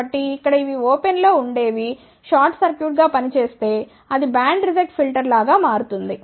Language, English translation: Telugu, So, if these open here acts as a short circuit that will become like a band reject filter